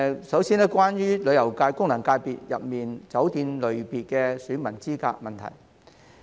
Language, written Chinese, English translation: Cantonese, 首先，是有關旅遊界功能界別中酒店類別選民資格的問題。, The first issue concerns the eligibility of electors of the tourism FC from the hotel category